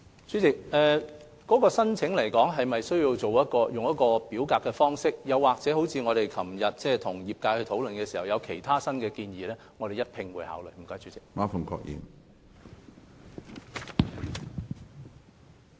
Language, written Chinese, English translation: Cantonese, 主席，關於是否需要以表格方式提出申請，以及我們與業界昨天會面時業界提出新的建議，我們會一併考慮有關問題。, President regarding whether it is necessary to apply by way of submitting an application form as well as the proposals made by the industry in our meeting yesterday we will consider the relevant issues together